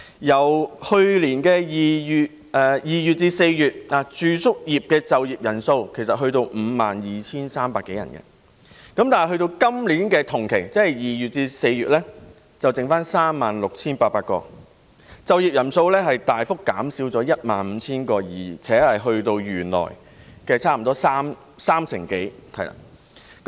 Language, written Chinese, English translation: Cantonese, 自去年2月至4月，住宿業的就業人數其實已達 52,300 多人，但至今年同期，只剩餘 36,800 人，就業人數大幅減少 15,000 人，並達至原來差不多三成左右。, From February to April last year the working population in the accommodation sector was more than 52 300 . But in the same period this year only 36 800 people remained . The working force has been significantly slashed by 15 000 which accounts for almost 30 % of the original working force